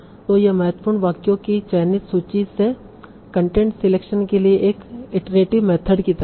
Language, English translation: Hindi, So this is like an iterative method for content selection from a selected list of important sentences